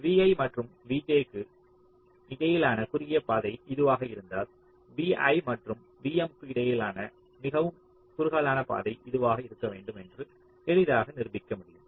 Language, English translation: Tamil, if the shortest path between v i and v j is this, then it can be easily proved through means, arguments, that the shortest path between v i and v m should be this